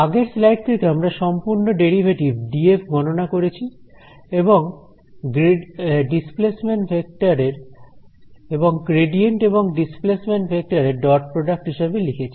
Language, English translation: Bengali, So, from the previous slide we have calculated this total derivative d f and wrote it as a dot product between the gradient over here and the displacement vector over here